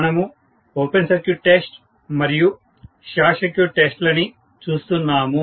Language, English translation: Telugu, So, we were looking at open circuit test and short circuit test